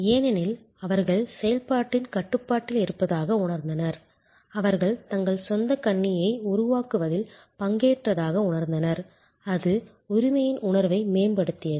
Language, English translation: Tamil, Because, they felt in control of the process, the felt that they have participated in creating their own computer, it enhanced the sense of ownership